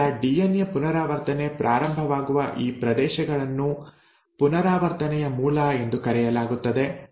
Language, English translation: Kannada, Now these regions where the DNA replication starts is called as origin of replication, okay